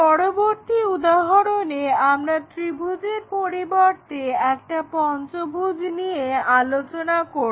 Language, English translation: Bengali, In this next example instead of a triangle we are looking at a pentagon